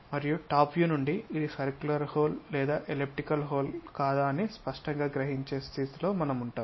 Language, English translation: Telugu, And from top view we will be in a position to sense clearly whether it is a circular hole or elliptical hole and at what level it is located these dimensions